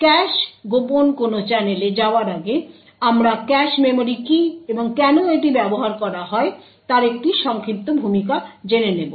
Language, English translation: Bengali, So, let us start with a cache covert channel so before we go into what cache covert a channel is we will have a brief introduction to what a cache memory is and why it is used